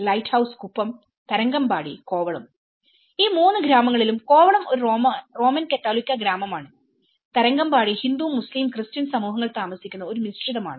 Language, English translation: Malayalam, Lighthouse kuppam, Tharangambadi, Kovalam in all the three villages Kovalam is a Roman Catholic village, Tharangambadi is a mix like which is a Hindu, Muslim and Christian community lives there